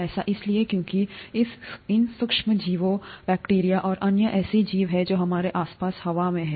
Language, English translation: Hindi, That is because there is these micro organisms, bacteria, and other such organisms are in the air around us